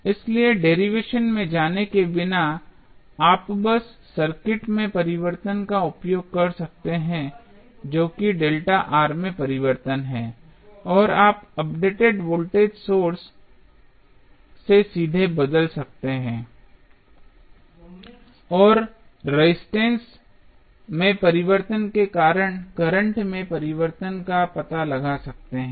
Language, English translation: Hindi, So, without going into the derivation, you can simply use the change in the circuit that is the change in delta R and you can replace directly with the updated voltage source and find out the change in current because of change in resistance delta R